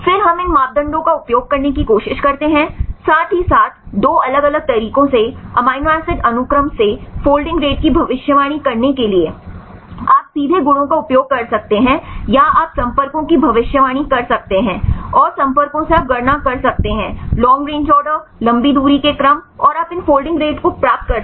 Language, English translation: Hindi, Then we try to utilize these parameters to predict the holding rates as well as predicting the folding rates from amino acid sequence in 2 different ways, one is directly you can use the properties or you can predict the contacts and from the contacts you can calculate the long range order and you can get these folding rates fine